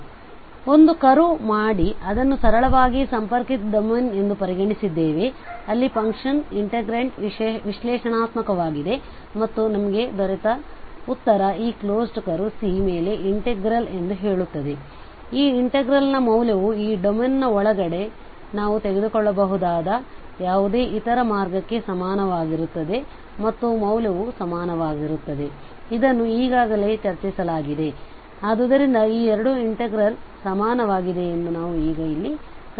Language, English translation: Kannada, So while making a curve there and then we have consider this as a simply connected domain where the function, the integrant is analytic and then we have got this result which says that the integral over this closed curve C, the value of this integral will be equal to any other path we can take inside this domain and the value will be equal so that part was already discussed, so what we have observe now here that this integral is equal to this integral